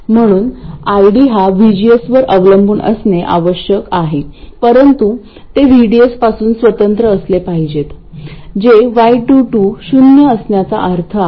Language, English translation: Marathi, So, ID must depend on VGS but it must be independent of VDS, that is what is the meaning of Y22 being 0